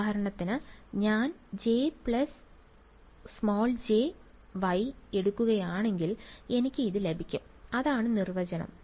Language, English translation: Malayalam, So, for example, if I take J plus j times Y, I get this guy that is the definition